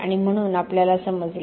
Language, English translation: Marathi, And so we understood